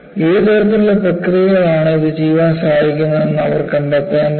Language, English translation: Malayalam, So, they have to find out, what kind of processes that would help them to do it